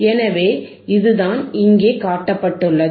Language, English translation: Tamil, So, this is what is shown here